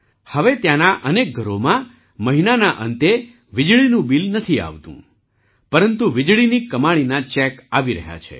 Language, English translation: Gujarati, Now in many houses there, there is no electricity bill at the end of the month; instead, a check from the electricity income is being generated